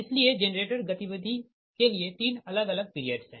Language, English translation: Hindi, so generator behavior can be divided in to three different periods